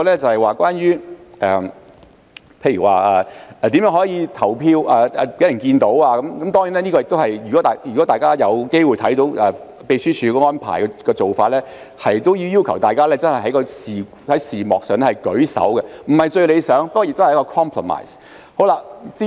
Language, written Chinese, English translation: Cantonese, 此外，關於如何讓大家看到投票，如果大家有機會看到秘書處安排的做法，便是要求議員在視像上舉手，這不是最理想，但也是一個 compromise。, Moreover regarding how to let people see the voting process for those who have the opportunity to watch the arrangement made by the Secretariat they will see that Members are requested to raise their hands at the video conference . This is not the most ideal but it is a compromise